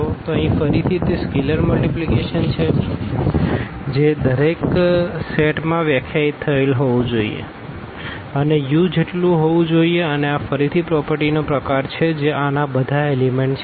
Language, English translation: Gujarati, So, this is again here the scalar multiplication which must be defined for each this set here and it must be equal to u and this is again kind of a property which all the elements of this u must satisfy